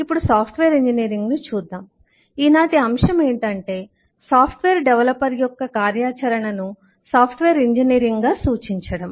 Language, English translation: Telugu, so the order of the day is to refer to the activity of the software development as software engineering